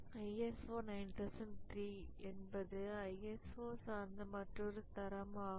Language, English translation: Tamil, ISO 903 standard, this is another document that was produced by ISO